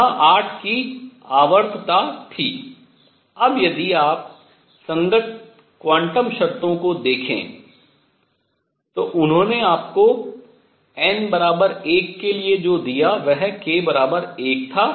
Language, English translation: Hindi, There was a periodicity of 8, now if you look at the corresponding quantum conditions, what they gave you for n equals 1 was k equal to 1